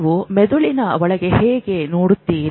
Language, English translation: Kannada, How do you really look into the brain